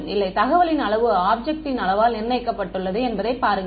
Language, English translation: Tamil, No, see the amount of information is fixed by the size of the object